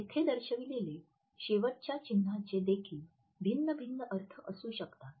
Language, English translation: Marathi, The last sign which is displayed over here also may have different interpretations